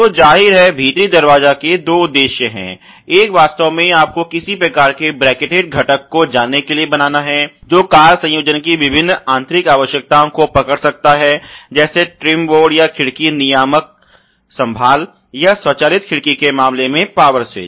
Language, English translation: Hindi, So obviously, the purpose of the door inner is two folds; one is to actually create you know some kind of a bracketed component, which can hold the various interior requirements of the car assembly like the trim board you know or may be the window regulator handle or in case of an auto window, the power switch so on so forth